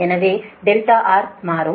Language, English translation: Tamil, that a is equal to